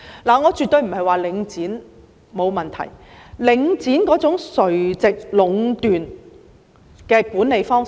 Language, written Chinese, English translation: Cantonese, 我絕對不是說領展沒有問題，特別是領展那種垂直壟斷的管理方式。, I certainly do not mean that there is no problem with Link REIT particularly given its management approach of vertical monopoly